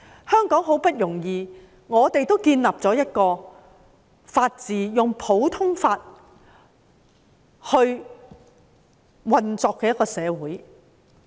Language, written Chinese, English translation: Cantonese, 香港很不容易地建立了法治，建立了一個以普通法運作的社會。, It is absolutely not easy for Hong Kong to establish the rule of law and to be built up as a common law jurisdiction